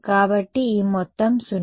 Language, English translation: Telugu, So, this whole thing the whole sum was 0